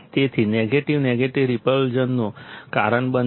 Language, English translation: Gujarati, So, negative negative will cause repulsion